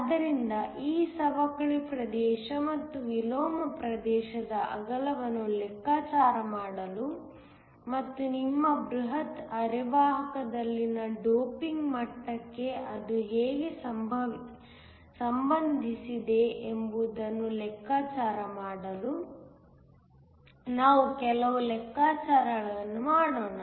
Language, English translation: Kannada, So, Let us do some calculations in order to figure out the width of this depletion region and the inversion region and how that is related to the doping level in your bulk semiconductor